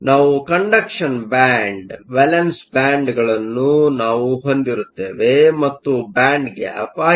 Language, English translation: Kannada, So, we will have a conduction band, we will have a valence band that is your band gap